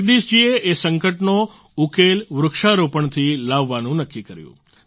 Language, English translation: Gujarati, Jagdish ji decided to solve the crisis through tree plantation